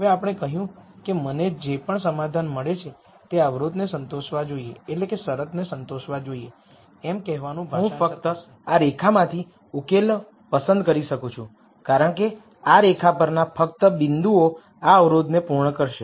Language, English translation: Gujarati, Now since we said that whatever solution I get it should sat isfy this constraint would translate to saying, I can only pick solutions from this line because only points on this line will satisfy this constraint